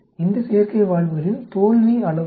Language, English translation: Tamil, What is the failure rate with these artificial valves